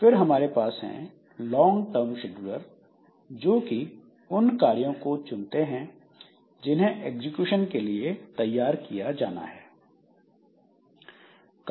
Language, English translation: Hindi, Then we have got long term scheduler which will be selecting the jobs that should be executing that should be made ready for execution